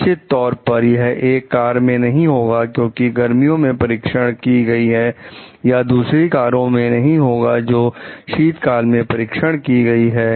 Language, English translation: Hindi, Definitely this is not going to happen to a car, which is a summer tested or it may not happen to other cars also which are winter tested